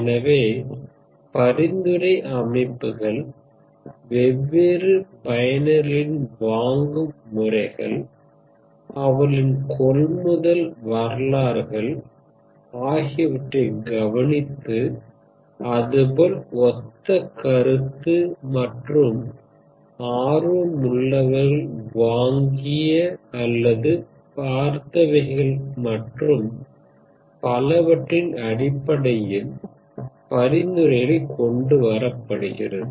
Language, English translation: Tamil, So they look at patterns of different users their purchase histories mind these patterns and come up with recommendations based on what other people who had similar interests have purchased or have viewed and so on ok